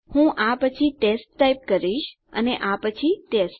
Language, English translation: Gujarati, I will just type test after this and test after this